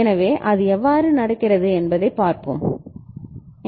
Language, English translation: Tamil, So, let us see how it is happening